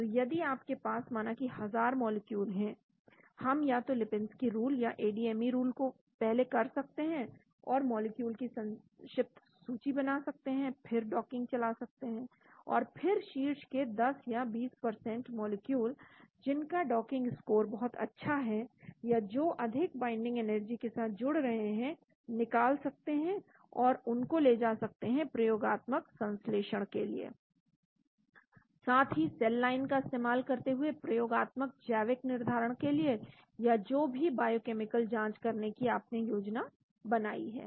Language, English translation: Hindi, So if you have, say thousands of molecules, we can either do the Lipinski’s rule and ADME rules first and shortlist molecules, then perform the docking and then select the top 10 or 20% of molecules which have very good docking score or bind very well with high binding energy, and then take them for experimental synthesis as well as experimental biological evaluation using cell line or whatever biochemical assays which you have planned